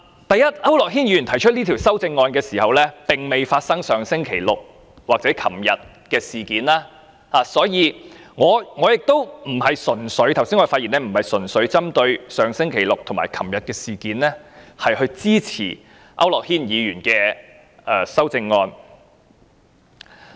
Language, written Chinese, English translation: Cantonese, 第一，區諾軒議員提出這項修正案時，並未發生上星期六或昨天的事件，所以我剛才的發言並不是純粹針對上星期六或昨天發生的事，從而支持區諾軒議員的修正案。, Firstly Mr AU Nok - hin proposed this amendment before the incident last Saturday or yesterday . Therefore I was not speaking earlier on the basis of what happened last Saturday or yesterday to show my support to Mr AU Nok - hins amendment